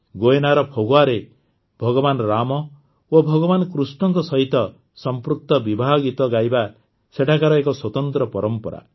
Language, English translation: Odia, In Phagwa of Guyana there is a special tradition of singing wedding songs associated with Bhagwan Rama and Bhagwan Krishna